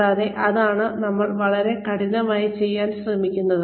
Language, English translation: Malayalam, And, that is what, we try very very, hard to do